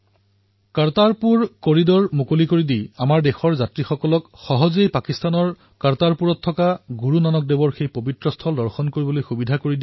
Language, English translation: Assamese, The Government of India has taken a significant decision of building Kartarpur corridor so that our countrymen could easily visit Kartarpur in Pakistan to pay homage to Guru Nanak Dev Ji at that holy sight